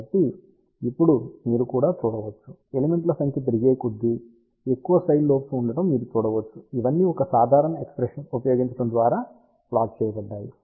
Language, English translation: Telugu, So, now you can also see that as number of elements increase, you can see that there are more number of side lobes are there all these are plotted by using that one simple expression